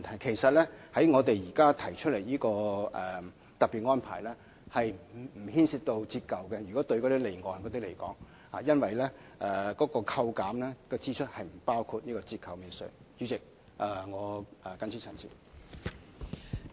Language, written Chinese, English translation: Cantonese, 其實，我們現時提出的特別安排，就離岸的情況而言，並不牽涉折舊，因為扣減支出並不包括折舊免稅額。, The special regime proposed dose involve deprecation concerning offshore leasing activities as the calculation of deductible expenses does not include deprecation